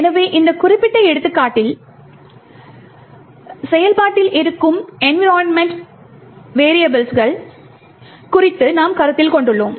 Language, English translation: Tamil, So, in this particular example over here we have considered the environment variables that is present in the process